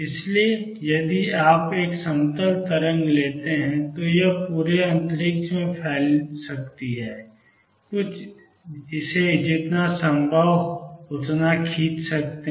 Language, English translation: Hindi, So, if you take a plane wave it may be spread all over space, some drawing it as much as possible